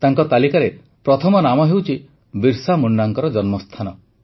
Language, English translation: Odia, The first name on his list is that of the birthplace of Bhagwan Birsa Munda